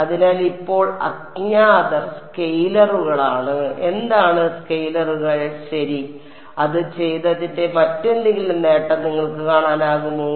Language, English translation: Malayalam, So, unknowns now are scalars what are the scalars U 1, U 2, U 3 ok, any other advantage that you can see of having done this